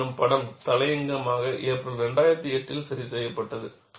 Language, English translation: Tamil, 1 editorially corrected in April 2008